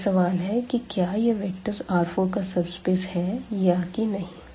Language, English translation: Hindi, Now, the question is whether this is a subspace of the R 4 or not